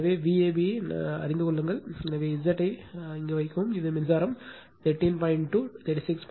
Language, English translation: Tamil, So, you know V AB, so put Z, you will get this is the current 13